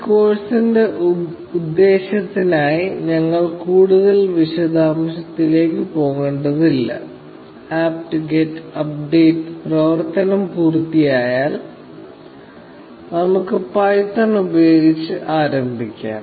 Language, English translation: Malayalam, Now, we do not need to go into more details for the purpose of this course; once the apt get update operation is complete, let us get started with python